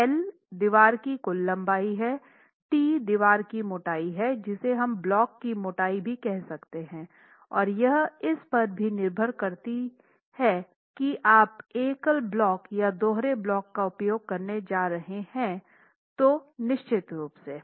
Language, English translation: Hindi, L is the total length of the wall, T is the thickness of the wall which is nothing but the block thickness in this case and depending on whether you are going to be using a single block or a double block then that of course varies